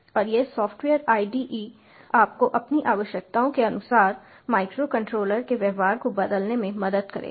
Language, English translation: Hindi, and this software ide will help you change the behavior of the microcontroller according to your needs